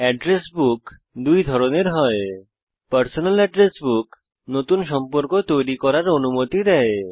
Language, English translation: Bengali, There are two types of Address Books in Thunderbird: Personal address book allows you to create new contacts